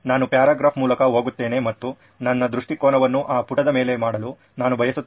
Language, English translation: Kannada, I go through a paragraph and I would want to make my point of view on top of that page